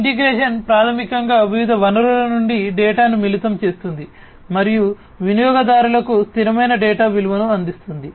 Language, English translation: Telugu, Integration is basically combining the data from various sources and delivering the users a constant data value